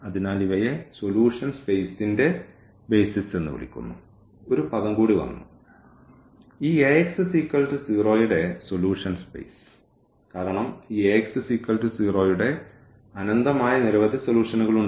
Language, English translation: Malayalam, So, these are called BASIS of the solution space again one more term has come; the solution space of this Ax is equal to 0 because this Ax is equal to 0 has infinitely many solutions in that case for instance